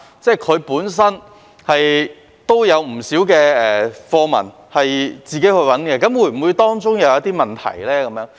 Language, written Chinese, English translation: Cantonese, 中國語文科也有不少教材是由教師自行尋找的，那麼當中有否出現問題呢？, Given that a significant amount of teaching materials of Chinese Language is obtained by the teachers themselves are there any problems?